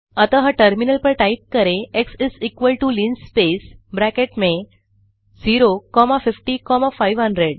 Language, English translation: Hindi, So we can type on the terminal x=linspace within brackets 0 comma 50 comma 500